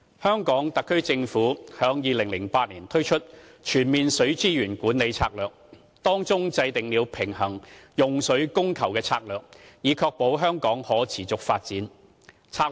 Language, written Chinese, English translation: Cantonese, 香港特區政府在2008年推出《全面水資源管理策略》，制訂了平衡用水供求的策略，以確保香港可持續發展。, In its Total Water Management Strategy promulgated in 2008 the Hong Kong SAR Government mapped out a strategy for a balanced supply and demand of water in order to ensure sustainable development in Hong Kong